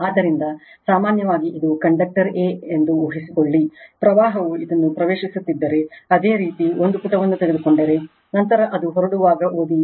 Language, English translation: Kannada, So, question is that generally suppose this is for conductor a, suppose if you take a page if the current is entering into this, then read as it is in leaving